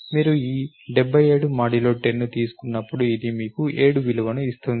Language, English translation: Telugu, When you take this 77 percent 10 this gives you a value 7